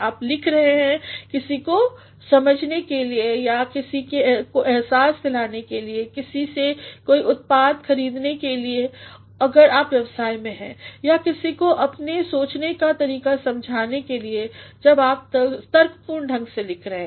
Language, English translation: Hindi, You are writing to make somebody understand or make somebody realize make somebody buy a product if you are in business or make somebody understand your line of thinking when you are writing argumentatively